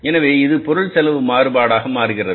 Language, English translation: Tamil, So, it becomes the material cost variance